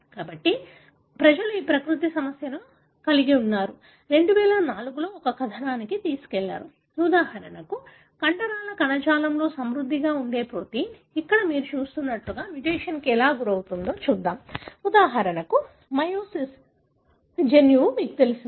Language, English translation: Telugu, So, people have this Nature issue, in 2004 carried an article, which showed how for example, myosin gene, the one that you know, protein that is rich in the muscle tissue undergone a mutation like what you see here